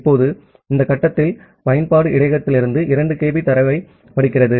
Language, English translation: Tamil, Now, at this stage, the application reads 2 kB of data from the buffer